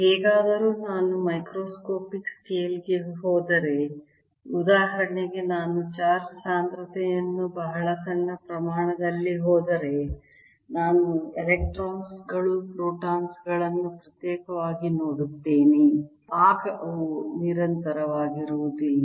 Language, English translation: Kannada, however, if i go to microscopic scale, right, for example, if i go in charge density to very small scale, i see electrons, protons separately